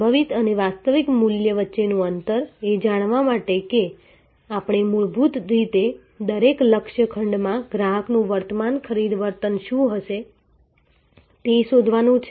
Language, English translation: Gujarati, The gap between potential and actual value, to know that we have to basically find out that what is the current purchasing behavior of the customer in each target segment